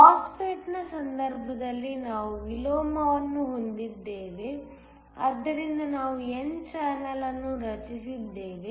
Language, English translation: Kannada, In the case of a MOSFET we have inversion, so that we have an n channel that is created